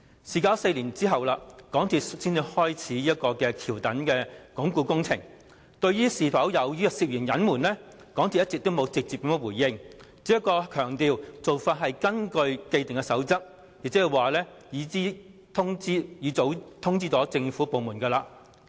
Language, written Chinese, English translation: Cantonese, 事隔4年，港鐵公司才展開橋躉鞏固工程，對於是否涉嫌隱瞞，港鐵公司一直沒有直接回應，只強調做法是根據既定的守則，亦早已通知政府部門。, The underpinning works for the viaduct piers were not carried out until four years later . Yet instead of facing directly to the allegation of covering up the incident MTRCL only stresses that it has followed the established practice and informed government departments of the incident